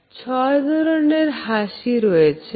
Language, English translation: Bengali, Six most common types of smile